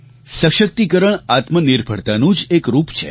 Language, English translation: Gujarati, Empowerment is another form of self reliance